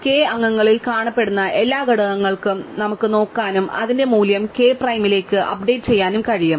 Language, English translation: Malayalam, We can look up every element that appears in members of k and update its value to k prime, right